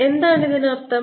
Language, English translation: Malayalam, what does it means